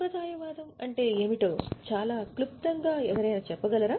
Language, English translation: Telugu, Can somebody tell what is conservatism very briefly